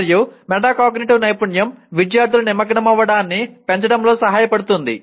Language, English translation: Telugu, And the metacognitive skill will help in increasing the student engagement